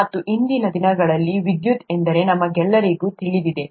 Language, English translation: Kannada, And we all know what electricity is nowadays